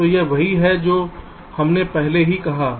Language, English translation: Hindi, so this something which we already said